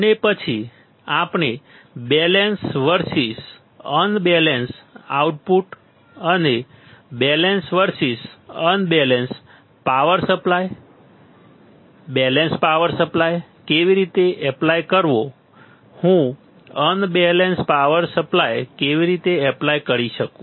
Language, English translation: Gujarati, And then we have seen the balance versus unbalance output and, balance versus unbalanced power supply also how to apply balance power supply, how do I apply unbalance supply